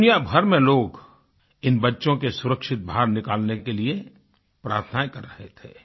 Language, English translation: Hindi, The world over, people prayed for the safe & secure exit of these children